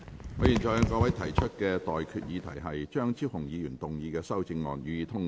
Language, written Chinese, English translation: Cantonese, 我現在向各位提出的待決議題是：張超雄議員動議的修正案，予以通過。, I now put the question to you and that is That the amendment moved by Dr Fernando CHEUNG be passed